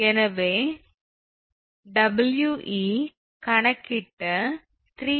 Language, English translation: Tamil, So, We is equal to 3